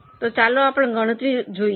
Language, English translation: Gujarati, So, let us have a look at the calculation